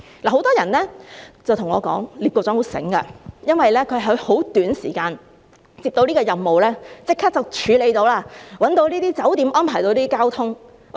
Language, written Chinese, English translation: Cantonese, 很多人對我說聶局長很聰明，因為他在很短時間接到這個任務，便立即處理到，找到這些酒店，安排到交通。, Many people say to me that Secretary Patrick NIP is very smart because in a short span of time he could complete the mission including finding the hotels and making transportation arrangements which are not easy tasks